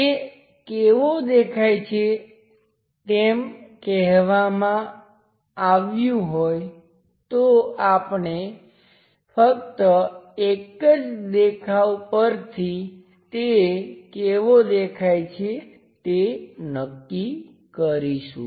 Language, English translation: Gujarati, If it is mentioned how it looks like, we are going to see only one view how it looks like